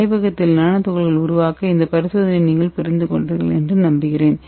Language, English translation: Tamil, Hope you understood the experiments how we can make nano particles in the lab